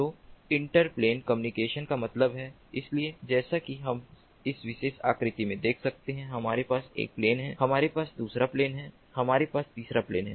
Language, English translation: Hindi, so inter plane communication means that, so as we can see in this particular figure, we have one plane, we have second plane, we have a third plane